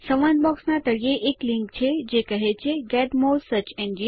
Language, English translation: Gujarati, At the bottom of the dialog is a link that say Get more search engines…